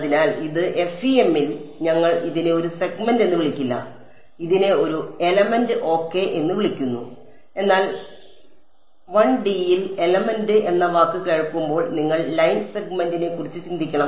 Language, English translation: Malayalam, So, this in FEM we do not call it a segment we call it an element ok, but when you hear the word element in 1D you should just think of line segment